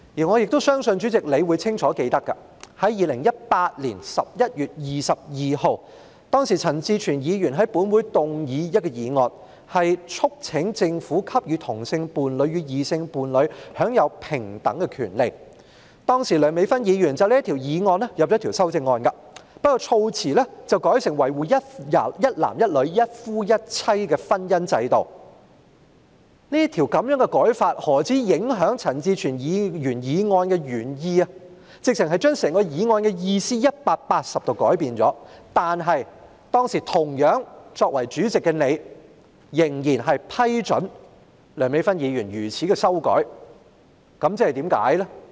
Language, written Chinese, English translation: Cantonese, 我相信主席亦清楚記得，在2018年11月22日，陳志全議員在本會動議一項議案，促請政府給予同性伴侶與異性伴侶享有平等的權利，當時梁美芬議員就這項議案提出修正案，但卻把措辭改為"一男一女"及"一夫一妻"的婚姻制度，此舉不單影響陳志全議員提出議案的原意，簡直是180度改變了議案的意思，但當時同樣作為主席的你，仍然批准梁美芬議員作出這樣的修訂，原因是甚麼呢？, I believe the Chairman should also remember clearly that Mr CHAN Chi - chuen moved a motion in this Council on 22 November 2018 urging the Government to enable homosexual couples to enjoy equal rights as heterosexual couples . Back then Dr Priscilla LEUNG proposed an amendment to this motion by changing the wording to marriage institution based on one man and one woman and one husband and one wife . This amendment has not only affected the original intent of Mr CHAN Chi - chuen in proposing the motion but it has also completely altered the meaning of the motion to exactly the opposite